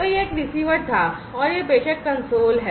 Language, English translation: Hindi, So, that was the receiver one and this is the sender console